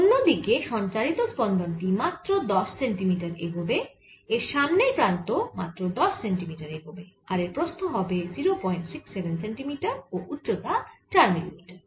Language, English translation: Bengali, the transmitted pulse would have moved only ten centimeters, the front end would have moved only ten centimeters and its width is going to be point six, seven centimeters and height is four millimeters